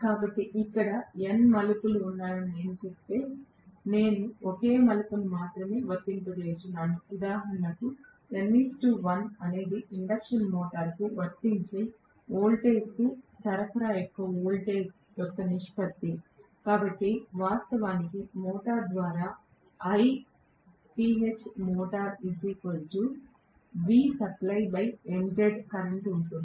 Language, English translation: Telugu, So, if I say that there are n number of turns here whereas I just applying only one turn, for example, n is to 1 is the ratio of the voltage of the supply to the voltage applied to the induction motor, so I am going to have actually the current through the motor I phase of the motor is going to be V supply divided nZ